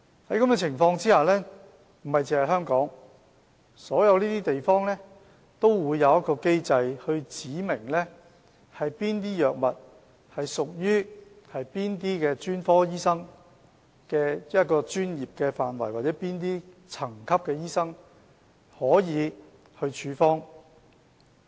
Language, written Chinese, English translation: Cantonese, 在這種情況下，不只香港，所有地方都會有機制訂明哪些藥物屬於哪些專科醫生的專業範圍，或有哪些層級的醫生才可以處方。, Under that circumstance not only Hong Kong all places will put in place the mechanism to specify which drugs are under the professional scope of a certain category of specialists or only a certain level of doctors are authorized to prescribe such drugs